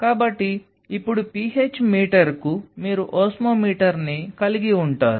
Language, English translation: Telugu, So, now, a PH meter you have an osmometer